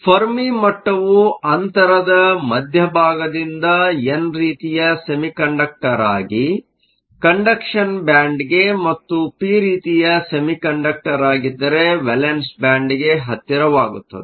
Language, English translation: Kannada, The fermi level will shift from the center of the gap it will shift closer to the conduction band for an n type semiconductor and closer to the valance band if it is a p type semiconductor